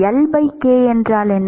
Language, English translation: Tamil, What is L by k